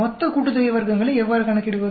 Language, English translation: Tamil, How do I calculate total sum of squares